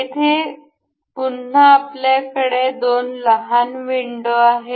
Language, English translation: Marathi, Here again, we have two little windows